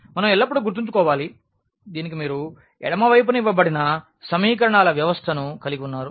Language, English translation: Telugu, We should always keep in mind that corresponding to this we have actually the system of equations you are given in the left